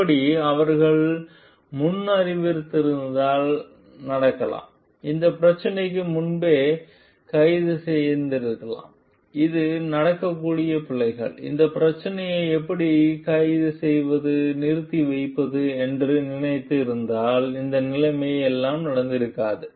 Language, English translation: Tamil, If they would have foreseen like this could happen and could have arrested for this problem beforehand like thinking like this could be the possible errors happening and how to arrest for this problem then this situation would not have happened at all